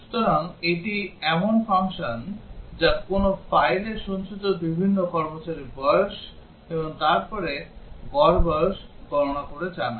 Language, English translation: Bengali, So, this is the function which reads the age of various employees stored in a file and then computes the average age and prints out